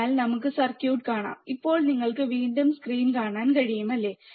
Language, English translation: Malayalam, So, let us see the circuit, now you can see the screen again, right